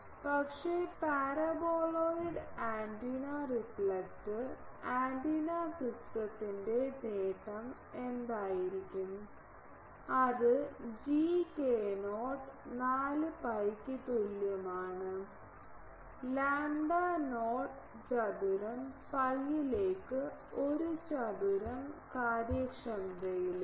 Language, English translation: Malayalam, But, what will be the gain of the parboiled antenna reflector antenna system that will be G is equal to 4 pi by lambda not square into pi a square into efficiencies